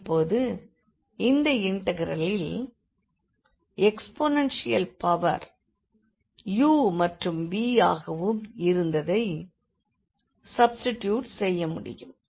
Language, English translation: Tamil, So, having this integral we can now substitute exponential power this was u and this was v